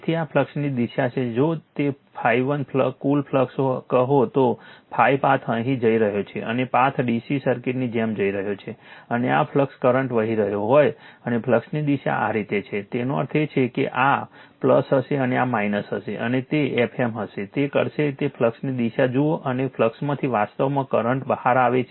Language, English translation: Gujarati, So, this is the direction of the flux right, say total flux if it is phi 1 right phi path is going here and path is going like your DC circuit and this is your flux is flowing right the current flows and the direction of the flux is this way; that means, this will be plus and this will be minus and that will be your F m this will do that is a you see the direction of the flux and from flux where your current actually coming out